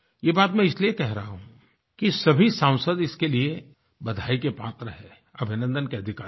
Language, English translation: Hindi, I am mentioning this because all Parliamentarians deserve to be congratulated and complimented for this